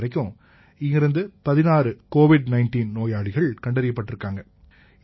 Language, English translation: Tamil, Here till date, 16 Covid 19 positive cases have been diagnosed